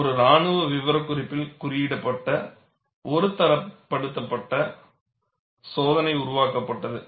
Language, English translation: Tamil, So, a standardized test, codified in a military specification was developed